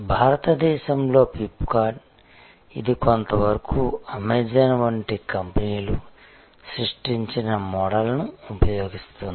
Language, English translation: Telugu, Flip kart in India, which is to an extent using the model created by companies like Amazon